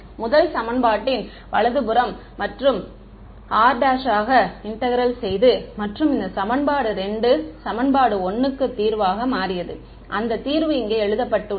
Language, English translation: Tamil, The right hand side of the first equation and integrated it over r prime right and the equation this equation 2 became exactly the solution to equation 1 and that is written over here over here the solution right